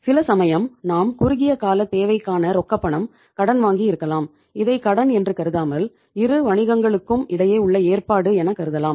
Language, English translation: Tamil, Sometimes we have borrowed cash for short term purposes so we have to itís not a loan, itís a you can call it as a other way around arrangement between say the two business